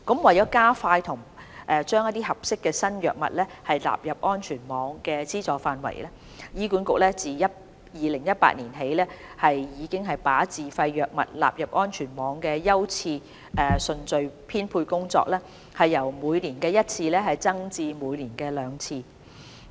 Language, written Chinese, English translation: Cantonese, 為加快把合適的新藥物納入安全網的資助範圍，醫管局自2018年起已把自費藥物納入安全網的優次順序編配工作，由每年一次增至每年兩次。, To shorten the lead time for introducing suitable new drugs to the safety net HA has since 2018 increased the frequency of prioritization for including SFIs in the safety net from once to twice a year